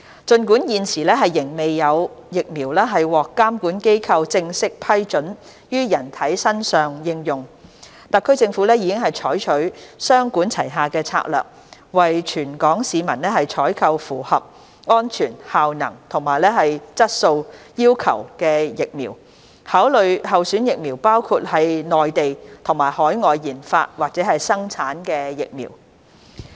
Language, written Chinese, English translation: Cantonese, 儘管現時仍未有疫苗獲監管機構正式批准於人體身上應用，特區政府已採取雙管齊下的策略，為全港市民採購符合安全、效能和質素要求的疫苗，考慮的候選疫苗包括內地及海外研發或生產的疫苗。, Although no vaccine has yet obtained approval from regulatory authorities for human application the Hong Kong SAR Government has adopted a two - pronged approach to procure vaccines meeting the criteria of safety efficacy and quality for the Hong Kong population . The candidate vaccines under consideration include those developed or manufactured in Mainland of China and overseas